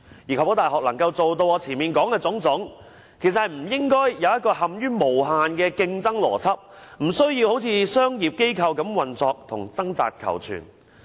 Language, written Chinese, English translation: Cantonese, 如要確保大學能做到我前面所說的種種，便不應設立一個無限的競爭邏輯，無須好像商業機構般運作及掙扎求存。, In order to warrant that universities can meet the aforesaid expectations they should not foster a logic that encourages endless competition . Universities do not need to operate or survive like a commercial enterprise